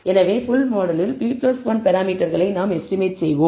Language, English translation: Tamil, So, we are estimating p plus 1 parameters in the full model